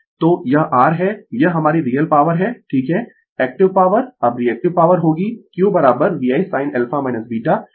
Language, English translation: Hindi, So, this is your this is ah our real power right active power now reactive power will be Q is equal to VI sin alpha minus beta